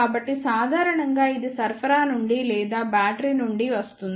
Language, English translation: Telugu, So, in general it comes from the supply or from the battery